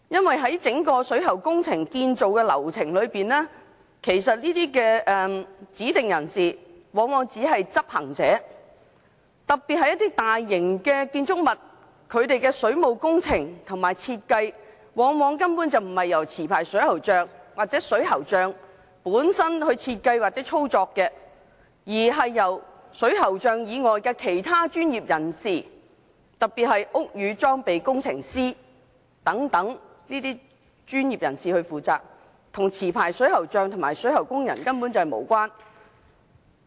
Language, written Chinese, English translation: Cantonese, 在整個水喉工程建造的流程裏，這些指定人士往往只是執行者，特別是一些大型建築物的水務工程及設計，根本不是由持牌水喉匠或水喉匠設計或操作，而是由水喉匠以外的其他專業人士，特別是屋宇裝備工程師等專業人士負責，與持牌水喉匠及水喉工人無關。, This is particularly so in the construction and design of water works for some large - scale buildings . Such water works are neither designed nor operated by licensed plumbers or plumbers . It is the building services engineer and some other professionals rather than plumbers who are responsible for the water works